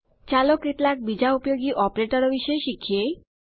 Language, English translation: Gujarati, Now, lets learn about a few other useful operators